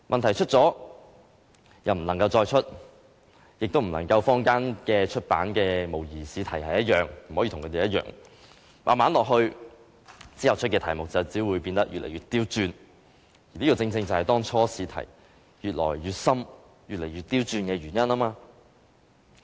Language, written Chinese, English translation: Cantonese, 題目出過便不能再出，也不能跟坊間出版的模擬試題一樣，於是題目只會變得越來越刁鑽，這個正正是當初試題越來越深、越來越刁鑽的原因。, As questions set in the past cannot be reused and questions cannot be the same as the mock questions found in the market they will only become trickier . These are exactly the reasons why the questions have become more difficult and trickier